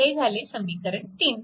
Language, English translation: Marathi, This is equation 2